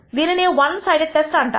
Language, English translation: Telugu, This is called the one sided test